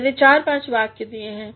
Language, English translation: Hindi, I have given four or five sentences